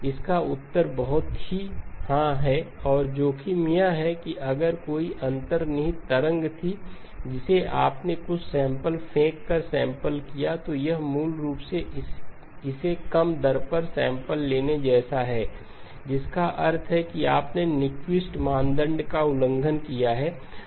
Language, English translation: Hindi, The answer is very much yes and the risk is that if there was an underlying waveform that you had sampled by throwing away some samples it is basically like sampling it at a lower rate which means that you may have ended up violating the Nyquist criterion